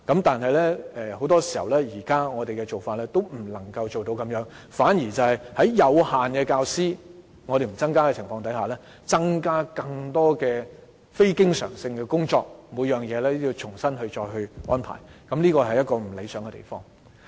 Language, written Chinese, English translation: Cantonese, 但是，現時我們的做法往往也不能達到這樣的效果，反而是在不增加教師的情況下，增加更多非經常性工作，以致每項工作也要重新安排，這是不理想的。, But our existing practice often cannot achieve this effect . Without additional manpower teachers often have to re - arrange all their work when they are assigned with more non - recurrent projects . This is not a desirable practice